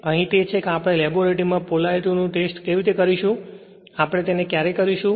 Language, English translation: Gujarati, Here that how we exchange test the polarity in your laboratory when you will do it, definitely you will do like this